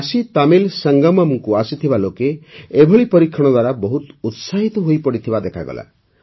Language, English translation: Odia, People who came to the KashiTamil Sangamam seemed very excited about this experiment